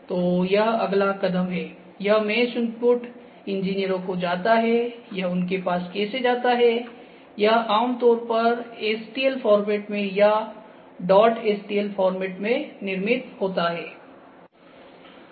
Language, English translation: Hindi, So, this mesh input goes to the engineers how does it go to them, it is generally produced in the stl format; dot stl format ok